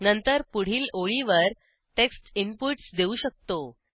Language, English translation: Marathi, After this on the next line, we can give the text inputs